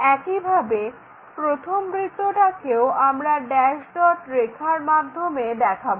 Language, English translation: Bengali, Similarly, first circle dash dot lines we will show it